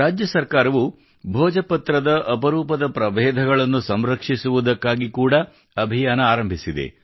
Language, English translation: Kannada, The state government has also started a campaign to preserve the rare species of Bhojpatra